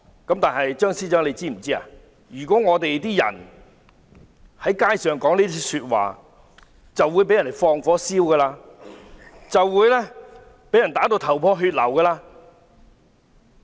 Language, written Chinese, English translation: Cantonese, 張司長是否知道市民在街上說這樣的話會被人放火燒、被打至頭破血流？, Does the Chief Secretary know when people make such a statement on the streets they would be set on fire and beaten until bleeding?